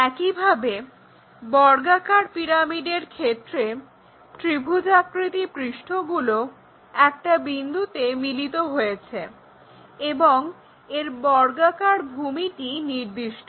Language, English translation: Bengali, Similarly, let us pick square pyramid we have triangular faces all are again meeting at that point and the base is a fixed object, here in this case it is a square